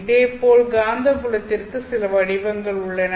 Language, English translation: Tamil, There are certain patterns for magnetic field as well